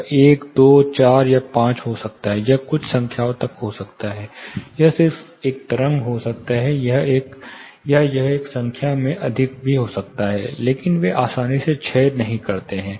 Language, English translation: Hindi, It may be 1 2 4 5, it may be as many, up to certain numbers it may be you know, just one wave, or it may be more in numbers also, but they do not decay easily